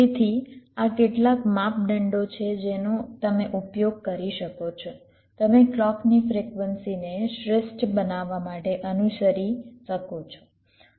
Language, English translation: Gujarati, ok, so these are some criteria you can use, you can follow to optimise on the clock frequency